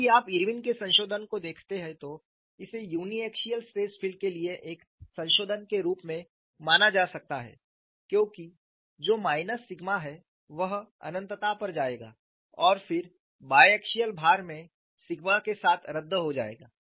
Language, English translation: Hindi, If you look at Irwin modification, this could be considered as a modification for a uniaxial stress field, because this minus sigma will go to at infinity cancel with the sigma and the biaxial load